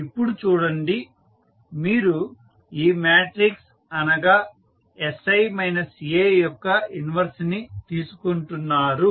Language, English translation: Telugu, Now, if you see we are taking the inverse of this matrix that is sI minus A